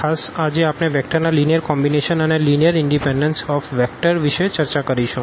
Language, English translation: Gujarati, In particular, we will cover today the linear combinations of the vectors and also this linear independence of vectors